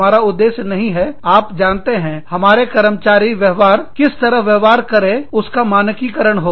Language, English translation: Hindi, We are not aiming at, you know, standardizing, the way in which, our employees behave